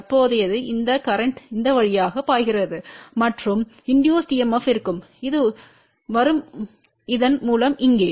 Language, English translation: Tamil, The current is flowing through this in this direction and there will be induced EMF which will be coming through this one here